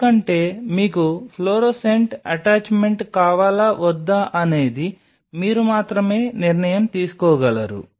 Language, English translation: Telugu, Because that decision only you can take whether you want a fluorescent attachment or not